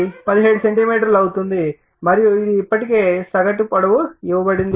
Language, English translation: Telugu, 5 that is equal to 17 centimeter right and this is already mean length is given